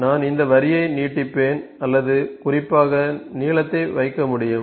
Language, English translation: Tamil, So, I will extend this line for I can if specifically put the length ok